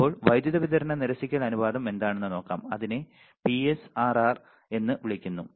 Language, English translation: Malayalam, Now, let us see what is power supply rejection ratio, it is called PSRR